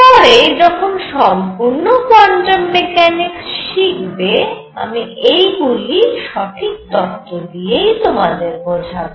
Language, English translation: Bengali, And when we develop the full quantum mechanics I should be able to explain all this through proper theory